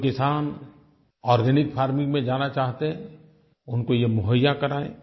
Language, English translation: Hindi, They should supply this to the farmers who are willing to adopt organic farming